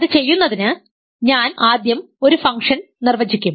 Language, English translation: Malayalam, So, the first step is to define the function